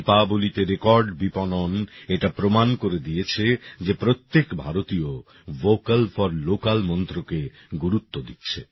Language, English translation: Bengali, The record business on Diwali proved that every Indian is giving importance to the mantra of 'Vocal For Local'